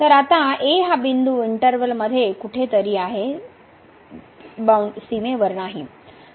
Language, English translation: Marathi, So now, is somewhere inside the interval not at the boundary